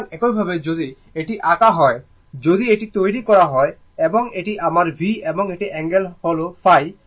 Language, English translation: Bengali, So, same thing say if when you are drawing when we are making this one I and this is my V and this angle is phi, right